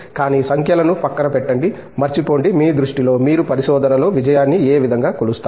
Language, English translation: Telugu, But, forgetting setting aside numbers, in your view in what way would you measure success in research